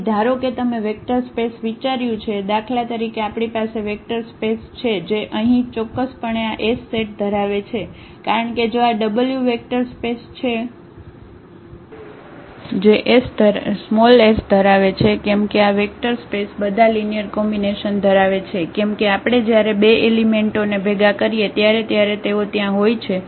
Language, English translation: Gujarati, So, if you have a suppose you consider a vector space you we have a vector space for instance which contains this set S here , the definitely because if this is a vector space that say w is a vector space which contains S